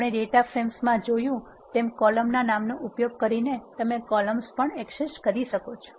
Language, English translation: Gujarati, You can also access the columns using the names of the column as we have seen in the data frames